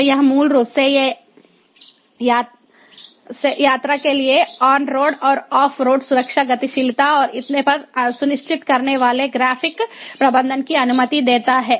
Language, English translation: Hindi, so this basically allows for graphic management ensuring on road and off road safety, mobility for travelling and so on